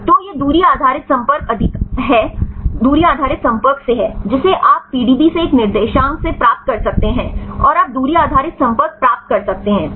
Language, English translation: Hindi, So, this is from the distance based contact right you can get from this a coordinates from the PDB, and you can get the distance based contacts